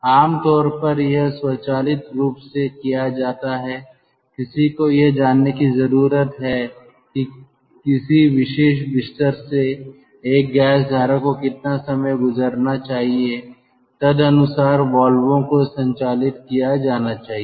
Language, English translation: Hindi, ah, one need to know how much time one gas stream should pass through a particular bed and accordingly the valves are to be operated